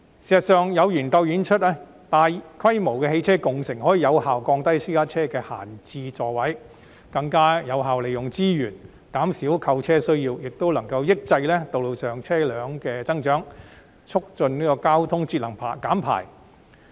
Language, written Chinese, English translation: Cantonese, 事實上，有研究指出，大規模的汽車共乘可以有效減少私家車的閒置座位，更有效利用資源，減少購車需要，亦能抑制道路上車輛數目的增長，促進交通節能減排。, In fact the results of a study indicated that large - scale ride - sharing can effectively reduce idle seats in private cars and facilitate the effective use of resources thus reducing the need for vehicle purchases while suppressing the growth of road vehicles and promote energy conservation and emission reduction in terms of transport